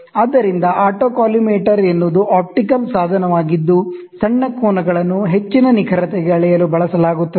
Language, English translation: Kannada, So, autocollimator is an optical instrument that is used to measure small angles to very high precision